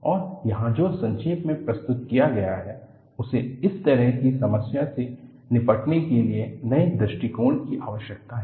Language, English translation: Hindi, And, what is summarized here is, one requires newer approaches to handle such a problem